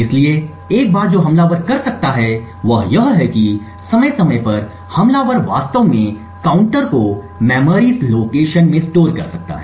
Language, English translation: Hindi, So, one thing that the attacker could do is that periodically the attacker could actually store the counter in a memory location